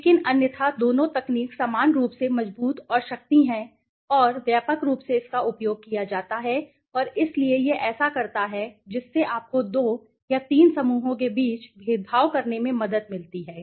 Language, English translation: Hindi, But otherwise both the techniques are equally strong and power and widely used right and so this is what it does do it has helped you it helps us to find to discriminate between 2 or 3 groups right